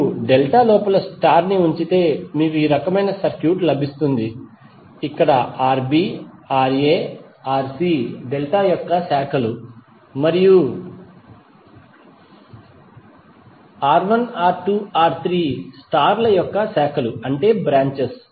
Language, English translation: Telugu, It means that if you put the star inside the delta you will get this kind of circuit where Rb, Ra, Rc are the branches of delta and R1, R2, R3 are the branches of star